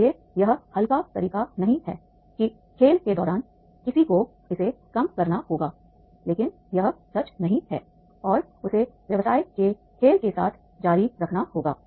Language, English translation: Hindi, That being the game, the one has to reduce it, but that is not true and he has to continue with the business game